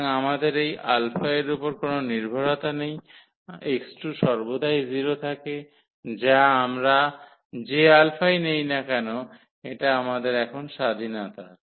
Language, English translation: Bengali, So, we do not have even dependency on this alpha, the x 2 is always 0 whatever alpha we take that is the freedom we have now